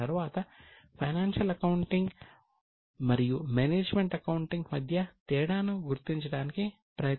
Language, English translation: Telugu, First we understood what is accounting, then we have tried to distinguish between financial accounting and management accounting